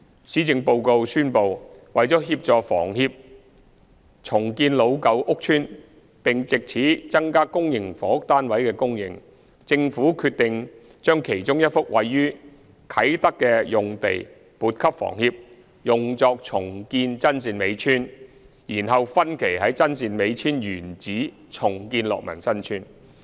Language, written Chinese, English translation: Cantonese, 施政報告宣布，為了協助房協重建老舊屋邨並藉此增加公營房屋單位的供應，政府決定將其中1幅位於啟德的用地撥給房協用作重建真善美村，然後在真善美村原址分期重建樂民新村。, The Policy Address has announced that in order to support HKHS in redeveloping its aged rental estates and thus increase the supply of public housing units the Government has decided to allocate one of the sites in Kai Tak to HKHS for the redevelopment of Chun Seen Mei Chuen and redevelop Lok Man Sun Chuen by phases at the original site of Chun Seen Mei Chuen